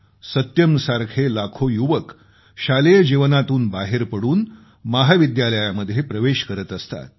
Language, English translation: Marathi, Like Satyam, Hundreds of thousands of youth leave schools to join colleges